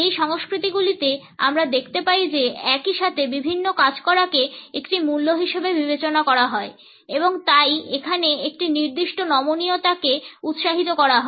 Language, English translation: Bengali, In these cultures we find that multitasking is considered as a value and therefore, a certain flexibility is encouraged